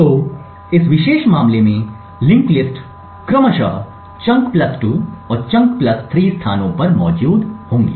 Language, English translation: Hindi, So in this particular case the linked lists would be present at the locations chunk plus 2 and chunk plus 3 respectively